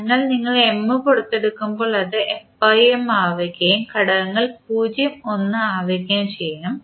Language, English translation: Malayalam, So, in that case when you take M out it will become f by M and the elements will be 0, 1